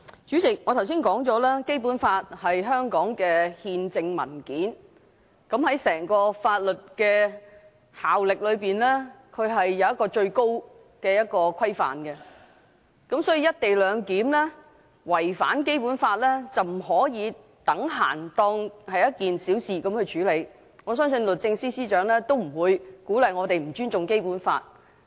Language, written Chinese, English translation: Cantonese, 主席，我剛才說過，《基本法》是香港的憲制文件，是整個法律制度中的最高規範，所以"一地兩檢"違反《基本法》，不可視作等閒地處理，我相信律政司司長也不會鼓勵我們不尊重《基本法》。, President I said earlier that Basic Law is the constitutional document of Hong Kong and the highest standard of the legal system at large . Therefore the fact that the co - location arrangement is in violation of the Basic Law cannot be treated lightly . I believe the Secretary for Justice would not encourage us to show disrespect to the Basic Law